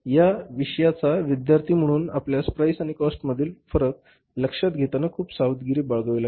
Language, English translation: Marathi, As a student of this subject you have to very carefully distinguish between the difference between the price and the cost